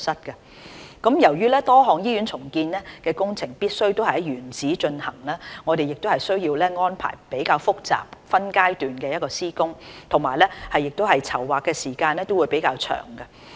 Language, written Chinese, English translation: Cantonese, 由於多項醫院重建工程必須在原址進行，我們需要安排非常複雜的分階段施工，而且籌劃時間亦會較長。, As many of the hospital redevelopment projects have to take place in - situ the highly complicated project - phasing leads to unusually long planning lead time